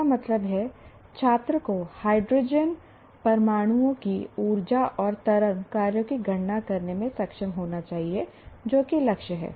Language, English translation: Hindi, That means the student should be able to compute the energies and wave functions of hydrogen atoms